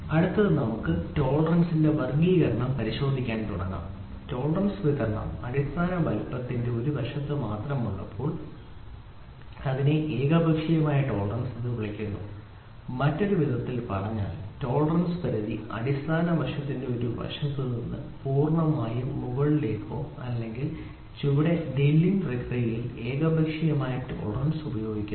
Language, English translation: Malayalam, Next is let us start looking into classification of tolerance, when the tolerance distribution is only on one side of the basic size it is known as unilateral tolerance, in the other words the tolerance limit lies wholly on one side of the basic side either above or below, unilateral tolerance is employed in drilling process wherein with